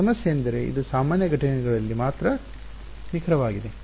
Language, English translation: Kannada, The problem is, its exact only at normal incidents